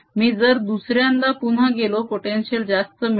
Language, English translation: Marathi, if i go twice the potential will be larger